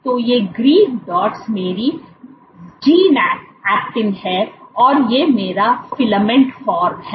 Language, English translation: Hindi, So, these green dots are my G actin and this is my filament form